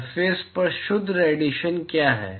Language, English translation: Hindi, What is the net irradiation to the surface